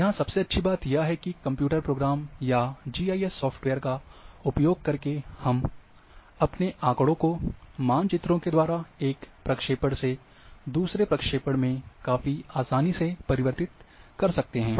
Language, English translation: Hindi, The best part here is, that using a computer programs or GIS software, we can change our data, ours maps from one projection to another quite easily